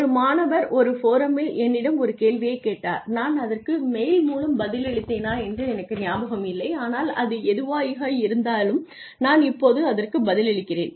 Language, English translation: Tamil, One of the students had asked me a question on a forum that I am not sure if I responded to it or probably it was a mail but anyway I am responding to it now